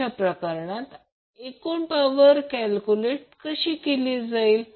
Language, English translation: Marathi, So in that case how we will calculate the total power